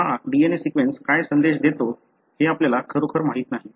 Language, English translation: Marathi, We really do not know what is the message that this DNA sequence carry